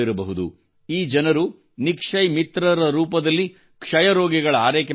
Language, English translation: Kannada, These people, as Nikshay Mitras, are taking care of the patients, helping them financially